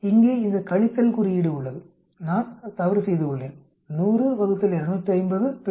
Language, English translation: Tamil, There is this minus term here I made a mistake, 100 divided by 250 multiplied by 100